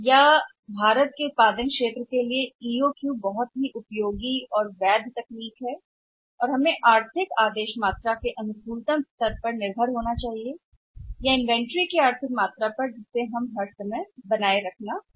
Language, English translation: Hindi, Or the manufacturing environment like India is EOQ is valid and very useful technique and we should depend upon that for working out the optimum level on economic order quantity or economic quantity of the material which we have to maintain all the times